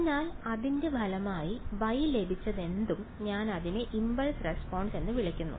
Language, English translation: Malayalam, So, as a result whatever Y I have got I call it the impulse response ok